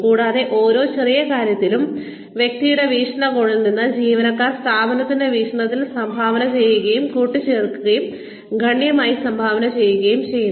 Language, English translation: Malayalam, And, every little bit, from the perspective of individual, employees contributes, adds up and contributes significantly, to the development of the organization